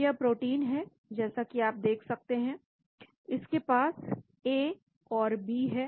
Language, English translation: Hindi, so this is the protein as you can see is got A and B